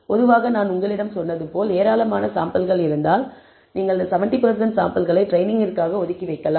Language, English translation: Tamil, So, typically as I said if you have a large number of samples, you can set apart 70 percent of the samples for training and the remaining 30 percent, we can use for validation